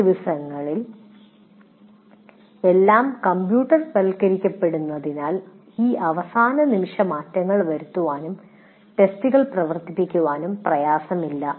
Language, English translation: Malayalam, And these days with everything being what do you call computerized, it should not be difficult to make this last minute changes and run the test